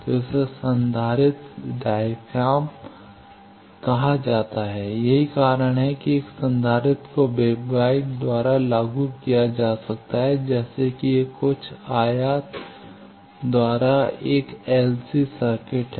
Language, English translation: Hindi, So, this is called capacitive diaphragm, that is why a capacitor can be implemented by wave guide like this is ALC circuit by some rectangle then step